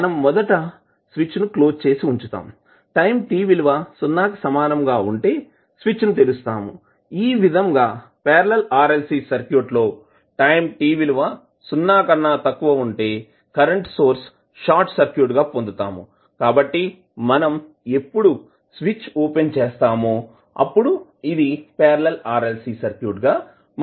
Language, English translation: Telugu, We are initially keeping the switch closed at time t is equal to 0 we are opening up the switch so that we get the parallel RLC circuit at time t less then 0 the current source will be short circuit so when we open it then it will be converted into Parallel RLC Circuit